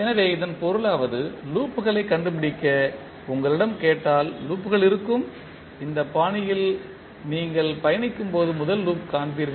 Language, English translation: Tamil, So that means if you are asked to find out the loops, loops will be, first loop you will see as you travel in this fashion